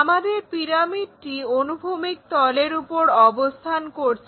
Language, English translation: Bengali, So, we have a pyramid which is laying on that horizontal plane